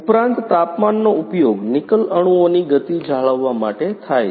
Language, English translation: Gujarati, Also, the temperature is used to maintain the speed of Nickel atoms